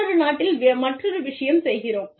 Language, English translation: Tamil, Another thing in, another country